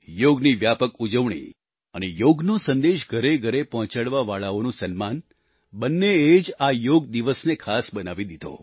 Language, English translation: Gujarati, The widespread celebration of Yoga and honouring those missionaries taking Yoga to the doorsteps of the common folk made this Yoga day special